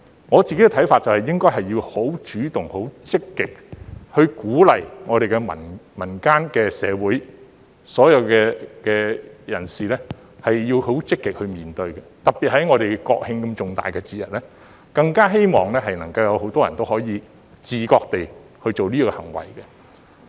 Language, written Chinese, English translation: Cantonese, 我自己的看法是應該很主動、很積極地鼓勵民間社會的所有人士也要積極地面對，特別在國慶這麼重大的節日，更希望能夠有很多人也會自覺地做這行為。, In my opinion it should take the initiative and proactively encourage all people in society to actively face the issue in the hope that especially on such major festivals as the National Day many people will do this on their own accord